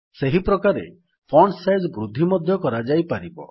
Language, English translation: Odia, The Font Size can be increased in the same way